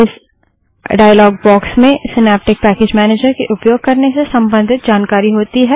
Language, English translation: Hindi, This dialogue box has information on how to use synaptic package manager